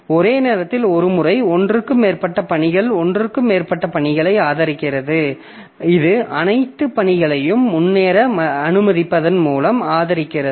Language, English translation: Tamil, So, a concurrent system, it supports more than one task at a more than one task by allowing all the task to make progress